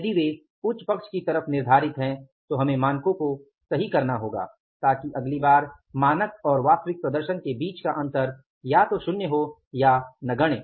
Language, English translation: Hindi, If they are set on the higher side, we will correct the standards so that next time the gap will be in the standard and the actual performance either it is zero or it is negligible